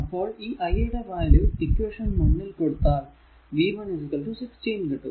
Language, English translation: Malayalam, Now, v 1 is equal to 16 into i 1 so, 16 into 3